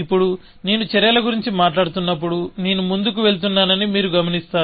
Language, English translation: Telugu, Now, you will notice that when I am talking about actions, I am going in the forward direction